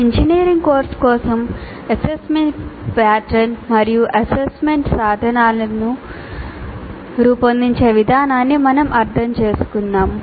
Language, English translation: Telugu, We understood the process of designing assessment pattern and assessment instruments for an engineering course